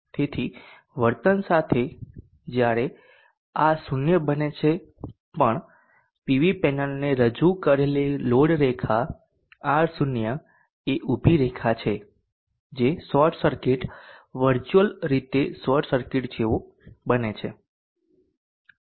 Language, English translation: Gujarati, So it is behaving when these made 0 whatever maybe the value of R0 the load line presented to the PV panel is a vertical line which resembles a short circuit virtually a short circuit